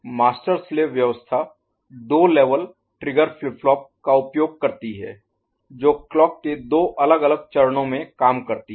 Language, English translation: Hindi, Master slave arrangement uses two level triggered flip flop which work in two different phases of the clock